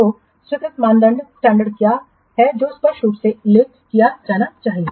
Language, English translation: Hindi, So, what is the acceptance criteria that also should be clearly mentioned